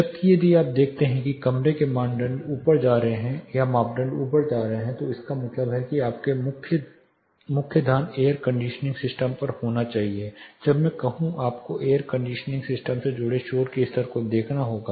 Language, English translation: Hindi, Whereas, if you see the room criteria is shooting up it means your main attention you have to focus on the air conditioning system there may be certain problems when I am saying you have to prioritize looking at the air conditioning system associated noise levels